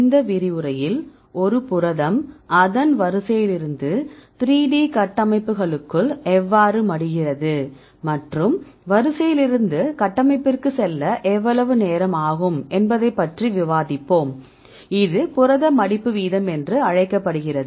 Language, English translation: Tamil, In this lecture, we will discuss about how a protein folds from its sequence to 3 D structures and how long it will take to go from the sequence to the structure; that is called the protein folding rate